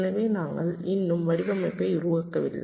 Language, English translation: Tamil, we are yet to carry out the design